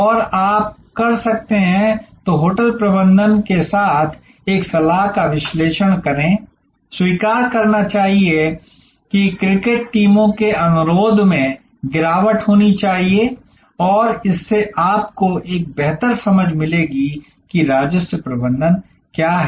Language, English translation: Hindi, And you can, then analyze an advice the hotel management with the, should accept the cricket teams request should decline and that will give you much better understanding of what this revenue management this all about